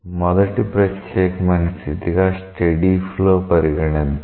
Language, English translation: Telugu, The first special case we consider as steady flow